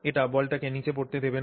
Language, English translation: Bengali, It does not allow the ball to fall down at all